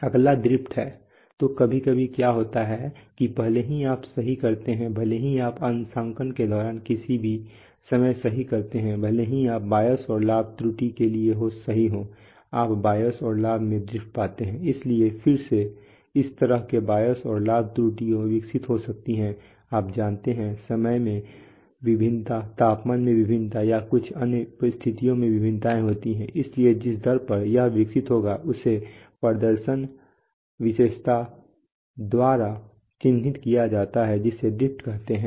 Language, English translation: Hindi, Next is drift so sometimes what happens is that even if you correct, even if you correct at any at some point of time during calibration even if you correct for the bias and the gain error you have drifts in the bias and the gain, so again such bias and gain errors can develop due to, you know, variations in temperature variations in time or some other conditions so the rate at which it these will develop our are characterized by a performance characteristic called drift